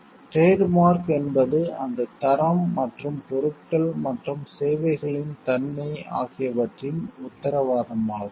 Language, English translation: Tamil, So, it is a assurance of that the, trademark is the assurance of that quality, and the nature of the goods and services